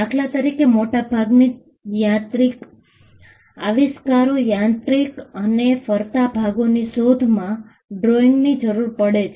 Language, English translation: Gujarati, For instance, most mechanical inventions, inventions involving mechanical and moving parts, may require drawings